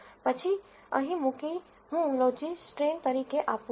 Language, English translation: Gujarati, Then put here I give as logistrain